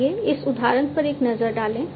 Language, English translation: Hindi, So, let us take a look at this example and you know